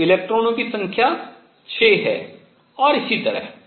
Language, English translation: Hindi, So, number of electrons 6 and so on